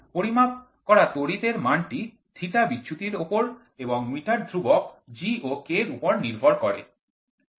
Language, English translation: Bengali, The value of the measured quantity current depends on the deflection theta and the meter constant G and K